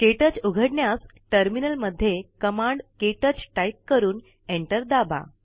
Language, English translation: Marathi, To open KTouch, in the Terminal, type the command: ktouch and press Enter